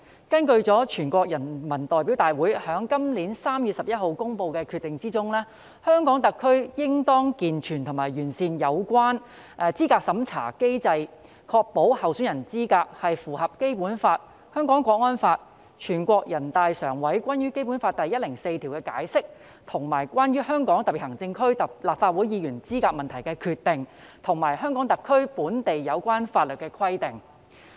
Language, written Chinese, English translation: Cantonese, 根據全國人民代表大會今年3月11日公布的《決定》，香港特區應當健全和完善有關資格審查制度機制，確保候選人資格符合《基本法》、《香港國安法》、全國人民代表大會常務委員會關於《基本法》第一百零四條的解釋和關於香港特別行政區立法會議員資格問題的決定，以及香港特區本地有關法律的規定。, Pursuant to the decision adopted by the National Peoples Congress NPC on 11 March this year the Hong Kong Special Administrative Region HKSAR shall improve the system and mechanisms related to qualification review to ensure that the qualifications of candidates are in conformity with the Basic Law the Hong Kong National Security Law the NPC Standing Committees interpretation of Article 104 of the Basic Law the NPC Standing Committees decision on the qualification of HKSAR Legislative Council Members and provisions of relevant local laws of the HKSAR